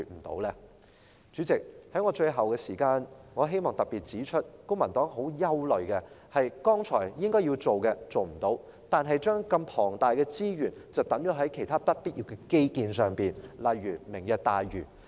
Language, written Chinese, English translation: Cantonese, 代理主席，最後，在餘下的發言時間，我希望特別指出，公民黨很憂慮的，是政府沒有做到我剛才提到它該要做的事，但卻把龐大的資源投放在不必要的基建上，例如"明日大嶼"。, Deputy Chairman finally in the remaining speaking time I would like to particularly point out that the Civic Party is very worried that instead of doing what it should do as I have just mentioned the Government has put tremendous resources into unnecessary infrastructure such as Lantau Tomorrow